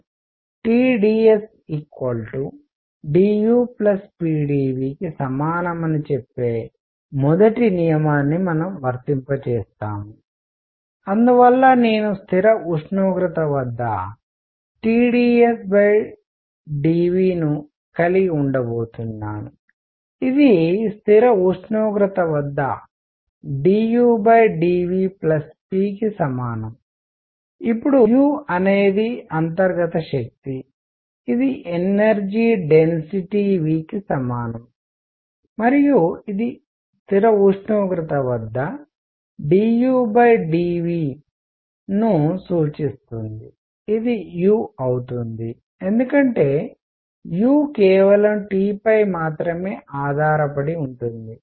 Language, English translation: Telugu, We apply the first law which says T dS is equal to d U plus p d V, alright and therefore, I am going to have T dS by d V at constant temperature is equal to d U by d V at constant temperature plus p now U is the internal energy which is equal to the energy density times V and this implies that d U by d V at constant temperature is going to be U because U depends only on T